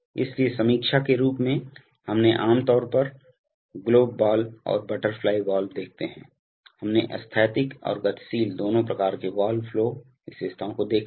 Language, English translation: Hindi, So as a matter of review we have typically seen globe ball and butterfly valves, we have seen various kinds of valve flow characteristics both static and dynamic